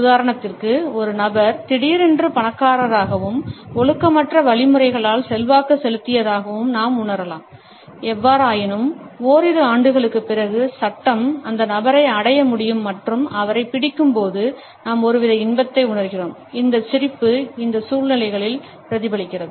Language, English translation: Tamil, For example; we may feel that a person has become suddenly rich and influential by unethical means; however, when after a couple of years the law is able to reach that individual and nabs him then we feel some type of an enjoyment and this smile is also reflected in these situations